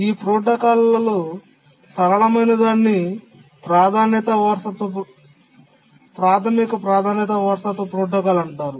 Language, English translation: Telugu, The simplest of these protocols is called as the Basic Priority Inheritance Protocol